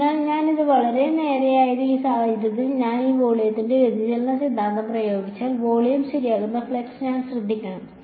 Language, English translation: Malayalam, So, this was very straight forward, in this case if I applied divergence theorem to this volume I should take care of the flux that is leaving the volume right